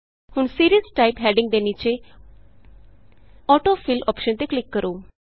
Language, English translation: Punjabi, Now under the heading, Series type, click on the AutoFill option